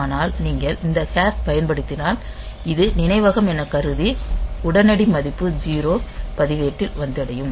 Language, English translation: Tamil, So, we mean that it is the memory it is the immediate value 0 that will come to a register